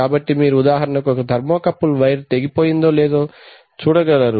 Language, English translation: Telugu, So you can for example you can perhaps detect whether the thermocouple wire has broken